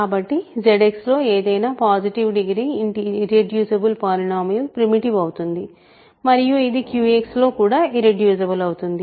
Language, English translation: Telugu, So, any positive degree irreducible polynomial in Z X is primitive and it is also irreducible in Q X